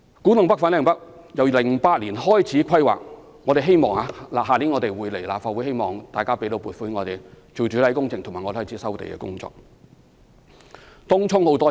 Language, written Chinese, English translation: Cantonese, 古洞北/粉嶺北新發展區由2008年開始規劃，我們明年將會提交立法會審議，希望立法會會批准撥款開展主體工程和展開收地工作。, Regarding the Kwu Tung NorthFanling North New Development Areas the planning started in 2008 and we plan to submit the project to the Legislative Council for scrutiny next year in the hope that funding approval will be given to proceed with the main development works and land resumption